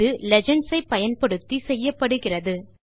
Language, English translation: Tamil, This is accomplished using legends